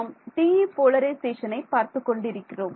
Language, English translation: Tamil, We are looking at TE polarization